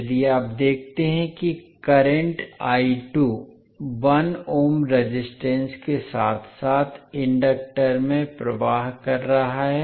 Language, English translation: Hindi, Here if you see the current I2 is flowing 1 ohm resistance as well as the inductor